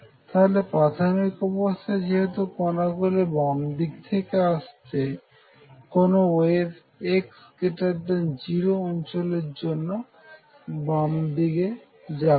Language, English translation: Bengali, So, first observation since initially the particles are coming from the left there will be no waves going to the left for x greater than 0 region